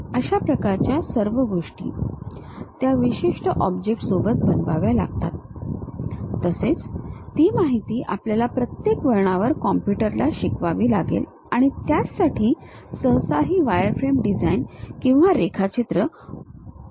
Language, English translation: Marathi, This kind of things, I have to make it on certain object; and, those information we have to teach it to the computer at every each and every point and for that purpose, usually this wireframe designs or drawings will be helpful